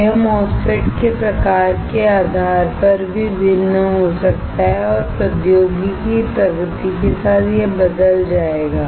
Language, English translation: Hindi, It can also vary depending on type of MOSFET and with the technology advancement, it will change